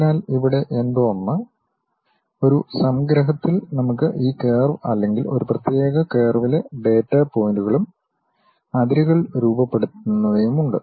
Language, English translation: Malayalam, So, something like here, in a abstractions we have this curve or the data points on that particular curve and those forming boundaries